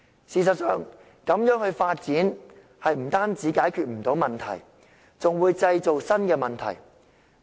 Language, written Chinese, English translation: Cantonese, 事實上，這樣發展不單不能解決問題，更會製造新的問題。, In fact such kind of development will not only fail to solve the problems but create new ones instead